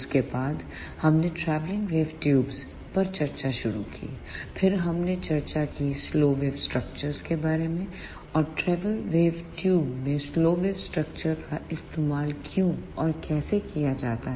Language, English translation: Hindi, After that we started discussion on travelling wave tubes, then we discussed about slow wave structures, and how and why we use slow wave structures in travelling wave tubes